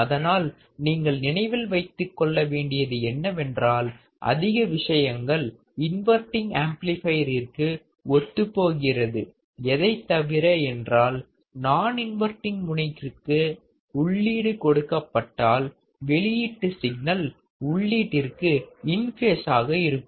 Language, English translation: Tamil, So, you have to remember that most of the things are similar to the inverting amplifier except that now since the input is applied to the non inverting terminal my output signal would be in phase to the input signal